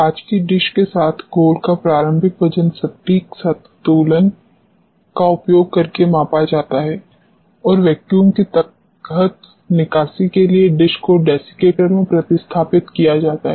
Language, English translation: Hindi, Initial weight of the slurry along with the glass dish is measured using the precision balance and the dishes replaced in the desiccator for evacuation under vacuum